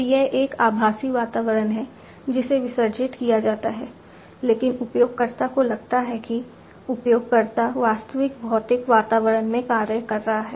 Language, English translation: Hindi, So, its a virtual environment that is immolated, but the user feels that, the user is acting in the actual physical environment